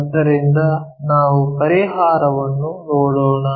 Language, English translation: Kannada, So, let us look at the solution